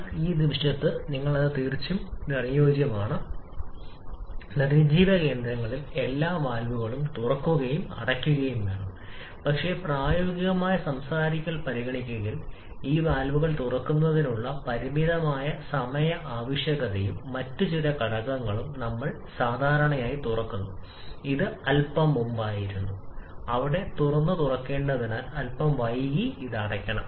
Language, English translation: Malayalam, But for the moment you can take that though ideally you should open and close all the valves at the dead centres, but practical speaking considering the finite time requirement for this valves opening and a few other factors, we generally open this was a bit earlier were there ideally should open and also close them a bit later than ideally it should close